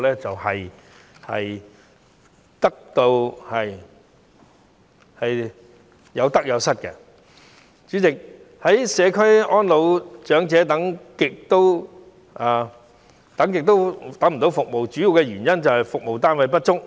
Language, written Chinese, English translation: Cantonese, 主席，願意居家安老的長者輪候很久也等不到社區服務，主要原因便是服務單位不足。, President it is mainly due to insufficient service units that many elderly persons though willing to age in the community are unable to receive community services after waiting for a very long time